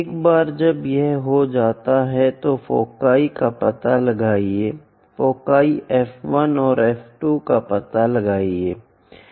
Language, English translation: Hindi, Once it is done, locate foci once it is done, locate foci F 1 and F 2